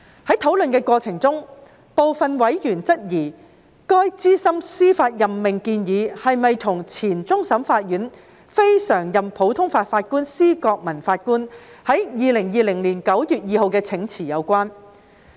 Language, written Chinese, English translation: Cantonese, 在討論的過程中，部分委員質疑該資深司法任命建議是否與前終審法院非常任普通法法官施覺民法官在2020年9月2日的請辭有關。, In the course of discussion some members have questioned whether the proposed senior judicial appointment is related to the resignation of Mr Justice SPIGELMAN a former CLNPJ of CFA on 2 September 2020